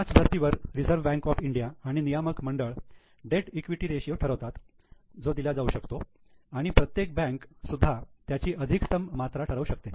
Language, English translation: Marathi, Like that, Reserve Bank of India and the regulators fix the maximum debt equity ratio which bank can give